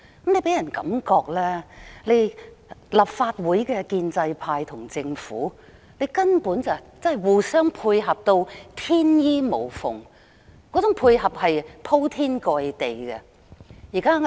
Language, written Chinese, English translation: Cantonese, 這予人的感覺，是立法會的建制派與政府根本互相配合，而且配合得天衣無縫、鋪天蓋地。, This has given people the feeling that there is mutual cooperation between the pro - establishment camp in the Legislative Council and the Government and that this kind of seamless cooperation has covered various aspects